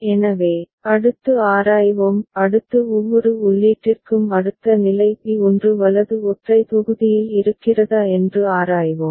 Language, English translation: Tamil, So, next we examine; next we examine if for each input next state lie in single block of P1 right